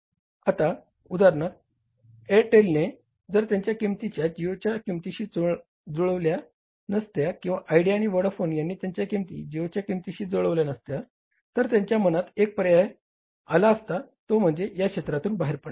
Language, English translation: Marathi, Now at that time, for example, if the Airtel was not able to match the pricing of the geo or the idea and Boudafone were not able to match the pricing of geo, so there is the one option in their mind was to go out of that sector